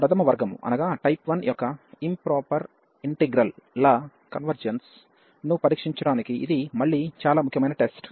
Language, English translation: Telugu, And this is again a very important test for testing the convergence of improper integrals of type 1